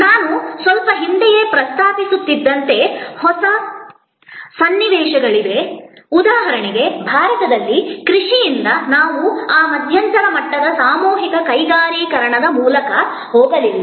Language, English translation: Kannada, There are new situations as I was little while back mentioning, that for example in India from agriculture we did not go through that intermediate level of mass industrialization